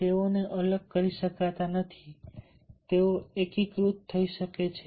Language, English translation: Gujarati, they cannot be separated, they can be integrated